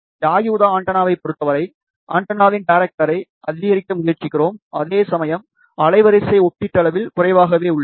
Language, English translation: Tamil, In case of yagi uda antenna, we try to increase the directivity of the antenna, whereas bandwidth is relatively limited